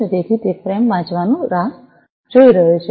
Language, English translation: Gujarati, So, it is waiting for reading the frame and